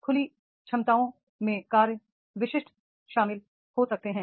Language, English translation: Hindi, Open capacities may include the task specific is there